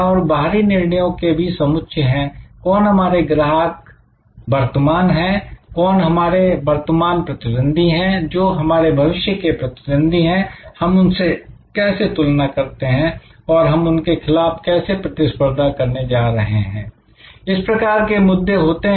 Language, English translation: Hindi, And there are sets of a external decisions, who are our current customers, are current competitors, how do we compare with them who be our future competitors and how are we going to compete against them these kind of issues